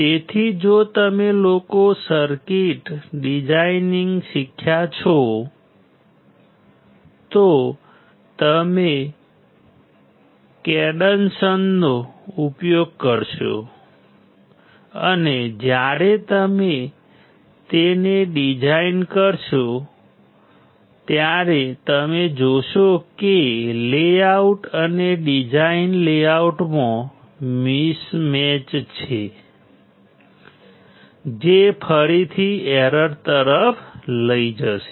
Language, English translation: Gujarati, So, if you guys have learnt circuit designing, you will use cadence , and then you when you design it you will see the there is a mismatch in the layout and design layout, which will again lead to an error